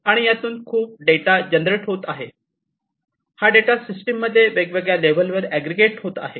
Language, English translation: Marathi, And there is huge, a data that is generated, this data are aggregated at different levels in the system